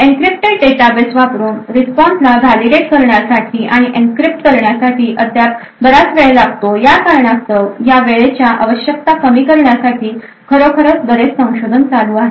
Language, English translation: Marathi, The reason being that it takes still considerable amount of time to actually validate and enncrypt responses using an encrypted database although a lot of research is actually taking place in order to reduce this time requirements